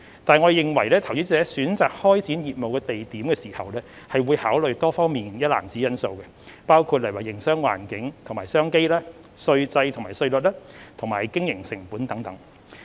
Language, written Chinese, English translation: Cantonese, 但是，政府認為投資者選擇開展業務地點時會考慮多方面的因素，包括營商環境及商機、稅制及稅率，以及經營成本等。, But the Government reckons that investors will consider a wide range of factors when identifying a location to set up business including business environment and opportunities tax regime and tax rates and cost of operation